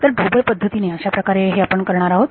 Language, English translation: Marathi, So, this is what we are going to roughly do